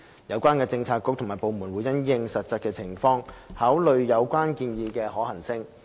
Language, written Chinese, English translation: Cantonese, 相關政策局及部門會因應實際情況，考慮有關建議的可行性。, The relevant Policy Bureaux and departments will consider the feasibility of their proposals in light of the actual circumstances